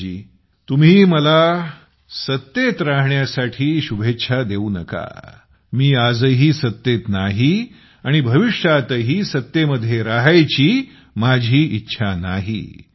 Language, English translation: Marathi, Rajesh ji, don't wish me for being in power, I am not in power even today and I don't want to be in power in future also